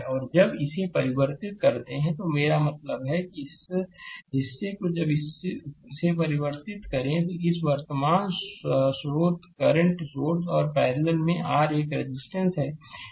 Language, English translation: Hindi, And when you convert this one, I mean this portion, when you convert this one, your this current source and one resistor is there in parallel